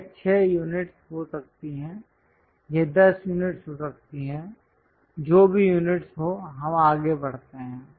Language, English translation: Hindi, It can be 6 units, it can be 10 units whatever the units we go ahead